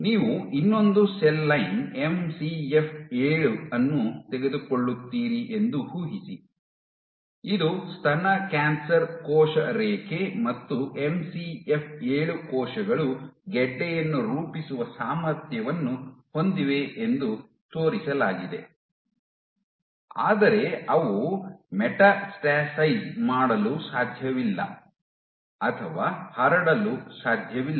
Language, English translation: Kannada, So, imagine you take another cell line MCF 7, this also is a breast cancer cell line MCF 7 cells have been shown to be capable of forming a tumor, but they cannot metastasize or cannot spread